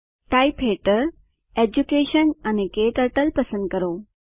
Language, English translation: Gujarati, Under Type, Choose Education and KTurtle